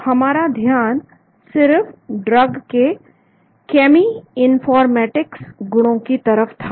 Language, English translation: Hindi, So our focus has been only on the cheminformatics properties of the drug